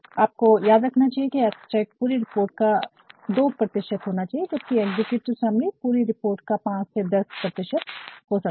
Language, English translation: Hindi, One should always remember that the abstract of a report should only be the 2 percent of the entire report whereas, an executive summary can be between 25 to 10 percent of the entire report